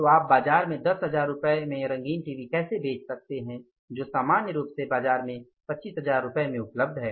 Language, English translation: Hindi, So, how you can sell a color TV for 10,000 rupees in the market which is normally available for 25,000 in the market